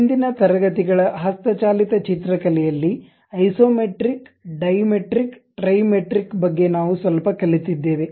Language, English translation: Kannada, In the earlier classes at manual drawing we have learned something about Isometric Dimetric Trimetric